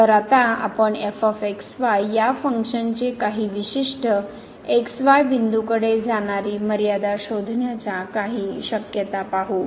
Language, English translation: Marathi, So, now, we will see some possibilities finding the limit of a function of as approaches to some particular point